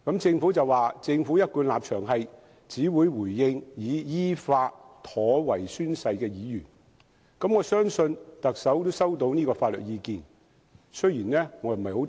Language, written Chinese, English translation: Cantonese, 政府表示，其一貫立場是只會回應已依法妥為宣誓的議員，我相信特首也收到這項法律意見。, The Government indicates that its consistent position is that it will only reply to Members who have properly taken their oaths in accordance with law . I believe the Chief Executive must also have received this piece of legal opinion